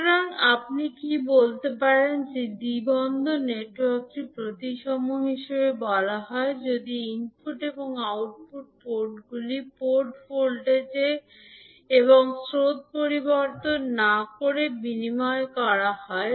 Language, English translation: Bengali, So, what you can say that the two port network is said to be symmetrical if the input and output ports can be interchanged without altering port voltages and currents